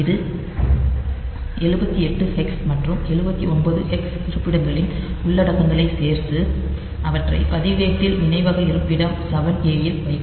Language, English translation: Tamil, So, it will add the contents of locations 78 hex and 79 hex and put them in the register into the memory location 7 A